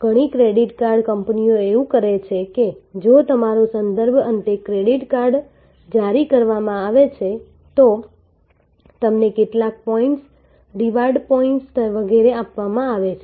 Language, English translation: Gujarati, Many credit card companies do that if your reference ultimately is issued a credit card, then you are given some points, reward points and so on